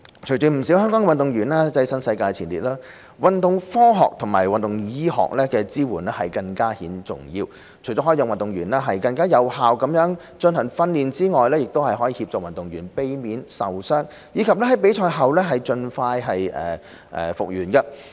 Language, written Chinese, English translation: Cantonese, 隨着不少香港運動員躋身世界前列，運動科學和運動醫學的支援更顯重要，除可讓運動員更有效進行訓練外，亦可協助運動員避免受傷，以及在比賽後盡快復原。, As more Hong Kong athletes have gained a place amongst the worlds best sports science and sports medicine support services become even more crucial not only in enhancing the effectiveness of athletes training but also in avoiding injuries and facilitating speedy recovery after competition